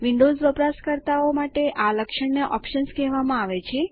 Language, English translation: Gujarati, For Windows users, this feature is called Options